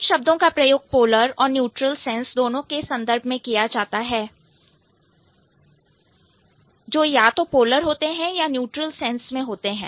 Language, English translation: Hindi, So, certain words which are which can be used both in polar and neutral sense and certain others which are either at the polar or the neutral sense